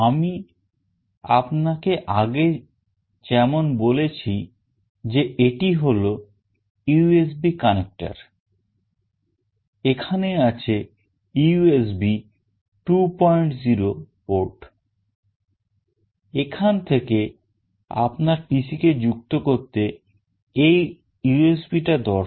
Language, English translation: Bengali, As I have told you this is the USB port through which you can connect to the USB port of the PC